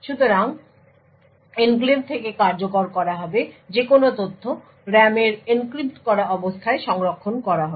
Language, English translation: Bengali, So, essentially any data which is to be executed from the enclave is going to be stored in the RAM in an encrypted state